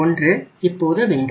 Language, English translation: Tamil, 33:1 so that 1